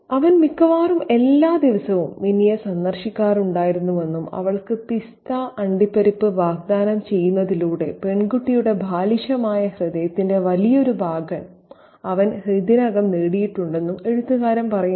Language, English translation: Malayalam, The writer says that he had been visiting Minnie almost daily and by offering her pistachio nuts he had already won a large part of the girl's childish heart